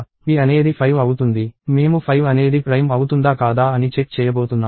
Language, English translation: Telugu, p is 5; I am going to check whether 5 is prime or not